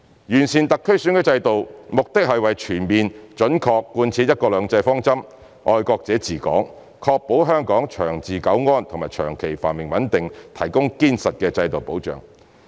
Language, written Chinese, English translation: Cantonese, 完善特區選舉制度，目的是為全面準確貫徹"一國兩制"方針、"愛國者治港"，確保香港長治久安和長期繁榮穩定提供堅實的制度保障。, The objective of improving the SARs electoral system is to fully and accurately implement the one country two systems principle implementing the code of patriots administering Hong Kong and ensuring the provision of a solid institutional safeguard for the long - term stability prosperity and stability of Hong Kong